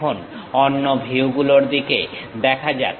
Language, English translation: Bengali, Now, let us look at other views